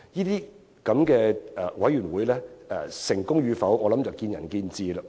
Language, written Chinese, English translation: Cantonese, 這種委員會成功與否，實在見仁見智。, Whether this kind of committee is effective is indeed open to dispute